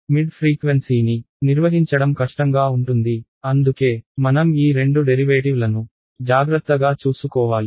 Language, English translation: Telugu, Mid frequency is the most difficult situation to handle because I have to take care of both these derivatives ok